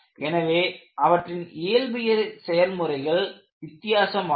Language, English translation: Tamil, So, the physical process is different